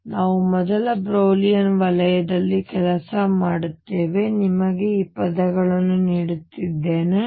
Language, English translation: Kannada, So, we work within the first Brillouin zone, I am just giving you these words